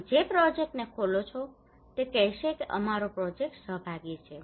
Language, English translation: Gujarati, Any project you open they would say that our project is participatory